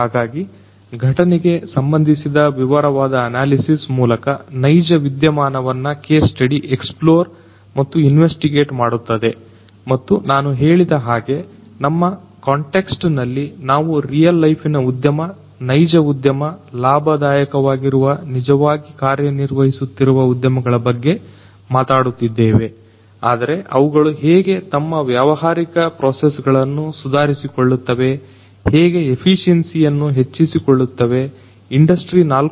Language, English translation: Kannada, So, case studies would explore and investigate a real life phenomenon through the detailed analysis of related events and as I said that in our context we are talking about real life industry, real industries, real functioning industries, that we have visited we have collected different information about real life industries which are doing very well, but then how they can improve their business processes, how they can improve their efficiency, how they can improve their technological processes towards improved efficiency of the business through the adoption of industry 4